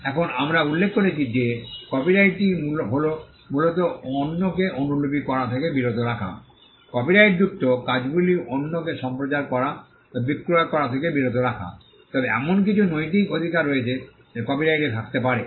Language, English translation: Bengali, Now we mention that copyright largely is the right to prevent others from copying, prevent others from broadcasting or selling the copyrighted work, but there are certain moral rights that could exist in a copyright